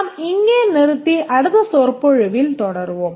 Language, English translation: Tamil, We'll stop here and continue in the next lecture